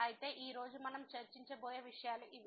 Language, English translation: Telugu, So, these are the topics we will be covering today